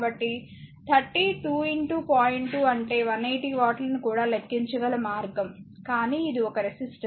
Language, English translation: Telugu, 2 that is also 180 watt the way one you can compute the your power, but is a resistor